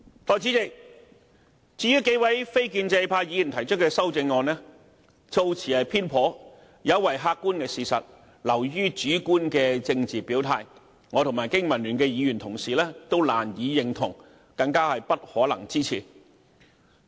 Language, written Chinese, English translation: Cantonese, 代理主席，至於數位非建制派議員提出的修正案，措辭偏頗，有違客觀事實，流於主觀的政治表態，我和經民聯議員同事都難以認同，更不可能支持。, Deputy President the amendments proposed by a few non - establishment Members are merely subjective political statements with biased wordings and contrary to objective facts . Honourable colleagues from BPA and I can hardly agree with these amendments let alone support them